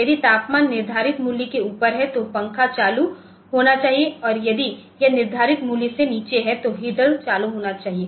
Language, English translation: Hindi, If the temperature is above the setting the set value then the fan should be turned on and if it is below the set value the heater should be turned on